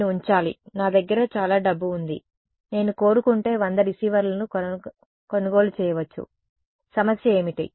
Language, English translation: Telugu, I have to put, I have a lot of money I can buy 100 receivers if I want; what is the problem